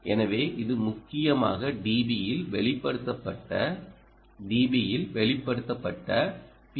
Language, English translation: Tamil, so this is essentially the p s r r expressed in d b expressed in d b